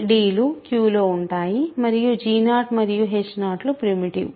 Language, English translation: Telugu, So, c, d are in Q and g 0 and h 0 are primitive, right